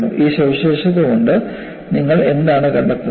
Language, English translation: Malayalam, And by looking at this feature, what do you find